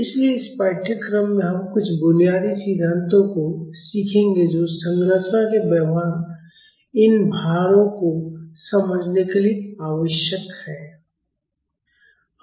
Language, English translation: Hindi, So, in this course, we will learn some of the basic theories which are needed to understand the behaviour of the structures and these loads